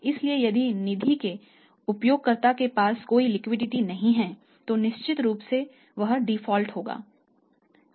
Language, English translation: Hindi, So, if there is no liquidity with the user of the funds certainly he will default